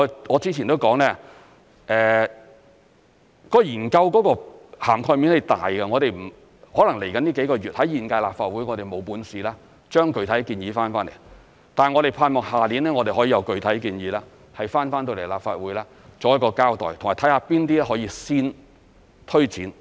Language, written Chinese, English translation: Cantonese, 我之前也說過，研究的涵蓋面是大的，可能未來幾個月，在現屆立法會，我們未能提出具體建議，但我們盼望，下年我們可以有具體建議提交立法會作一個交代，以及看看哪些可以先推展。, As I have said before the relevant study covers a wide scope of areas and we may not be able to come up with any specific proposals in the next few months within the current term of the Legislative Council . That being said we hope that we will be able to put forward specific proposals and give an account to the Legislative Council next year and see which of them can be taken forward first